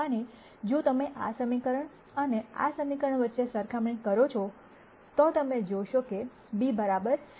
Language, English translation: Gujarati, And if you do a one to one comparison between this equation and this equation, you will see that b equals c